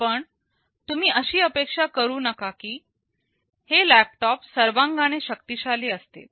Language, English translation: Marathi, Well you do not expect that those laptops will become powerful in all respects